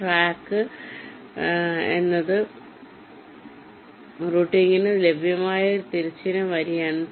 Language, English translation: Malayalam, track is a horizontal row that is available for routing